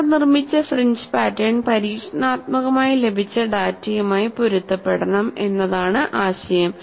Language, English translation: Malayalam, The idea is, the reconstructed fringe pattern should closely match the experimentally obtained data